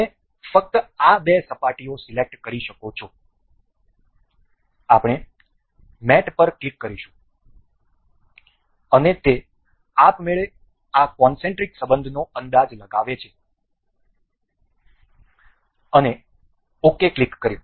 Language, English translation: Gujarati, You can just select this two surfaces we will click on mate, and it automatically guesses this concentric relation and click ok